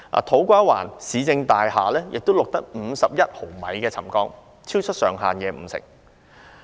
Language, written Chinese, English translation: Cantonese, 土瓜灣市政大廈亦錄得51毫米的沉降，超出上限五成。, A settlement of 51 mm was also recorded at the To Kwa Wan Municipal Services Building exceeding the threshold by 50 %